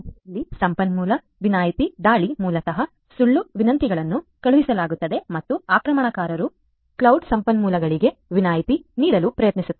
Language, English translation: Kannada, Resource exemption attack here basically false requests are sent and the attacker tries to exempt the cloud resources